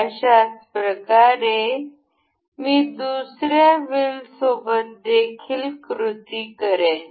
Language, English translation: Marathi, I will do the same thing with this other wheel